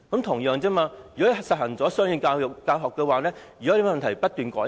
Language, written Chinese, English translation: Cantonese, 同樣地，如果實行雙語教學，有問題便改善。, Similarly should a problem arise from the implementation of bilingual education improvement can then be made